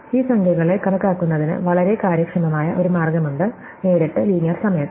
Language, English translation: Malayalam, There is a very efficient way of enumerating these numbers, directly almost in linear time